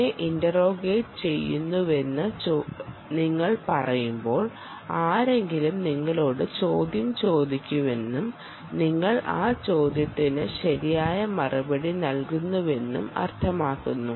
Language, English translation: Malayalam, when you say i am being interrogated, somebody is asking you a question and you reply back to that question, right